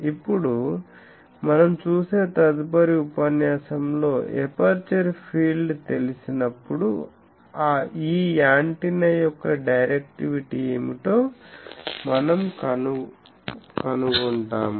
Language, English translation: Telugu, In the next lecture we will see now, we have got the aperture field we can immediately find out what is the directivity of this antenna